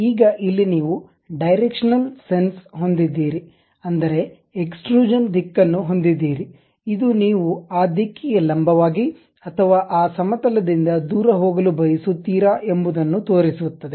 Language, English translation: Kannada, Now, here you have something like Directional sense, Direction of Extrusion whether you would like to go normal to that direction or away from that plane